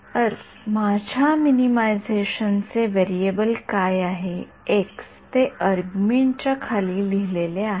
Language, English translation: Marathi, Ar; what is my variable of minimization is x that is written below the argmin